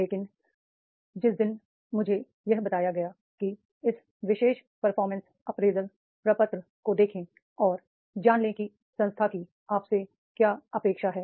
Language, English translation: Hindi, But on the day one itself it was told to me that is go this particular performance appraisal form and see that is what is the expectation of the institute from you